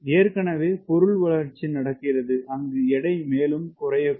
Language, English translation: Tamil, already, material development is happening where weight can further go down